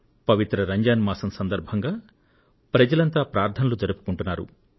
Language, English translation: Telugu, The holy month of Ramzan is observed all across, in prayer with piety